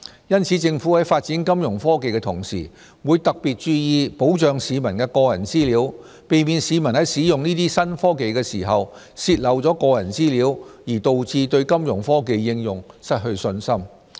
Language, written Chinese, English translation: Cantonese, 因此，政府在發展金融科技的同時，會特別注意保障市民的個人資料，避免市民在使用這些新科技的時候泄漏個人資料而導致對金融科技應用失去信心。, Hence in promoting Fintech development the Government will pay special attention to protecting the personal data of the public so as to avoid leakage of personal data when using these new technologies resulting in the loss of public confidence in Fintech utilization